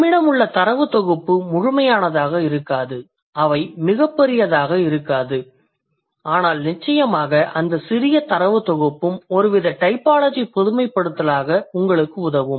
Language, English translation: Tamil, They may not be, they may not be like huge, but then for sure that tiny set of data will also help you to draw some kind of typological generalization